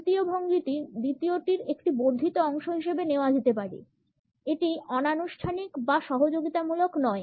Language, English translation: Bengali, The third posture can be taken up as an extension of the second one; it is neither informal nor cooperative